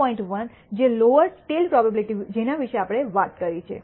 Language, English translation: Gujarati, 1 which is the lower tail probability we talked about